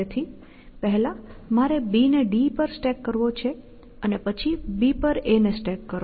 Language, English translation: Gujarati, So, first I want to stack B on D and then I want to A on B so stack B on B add to first pick up B